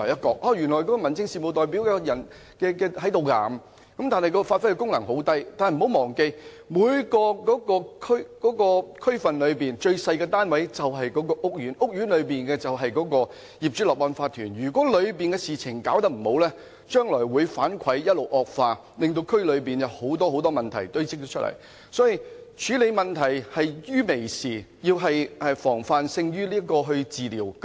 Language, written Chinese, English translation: Cantonese, 這樣，他們所能發揮的功能便很小；但不要忘記，每個區裏最小的單位便是屋苑，管理屋苑的便是業主立案法團，如果當中的事情做得不好，將來會一直惡化，令區內堆積很多問題。所以，我們要於問題還屬輕微時作出處理，防範勝於治療。, But let us not forget that housing estates are the building blocks in the districts and they are managed by the OCs so if the matters are not handled properly the situation will deteriorate and cause a lot of problems to accumulate in the districts so we should take a preventive approach and tackle the problems at an early stage